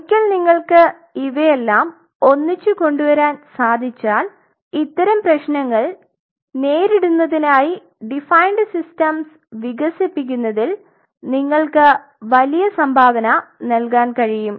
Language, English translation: Malayalam, Once you can pull all this together you really can contribute in a big way in developing defining systems to achieve these kinds of problems